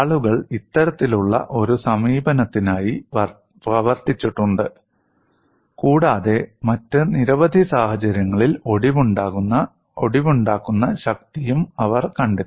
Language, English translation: Malayalam, And people have worked on this kind of an approach and they have also found out the fracture strength for several other situations